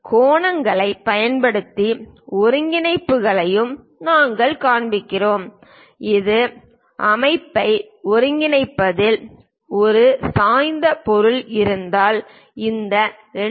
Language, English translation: Tamil, Using angles, coordinates also we have shown the dimensions, something like if there is an inclined object with respect to coordinate system this one 2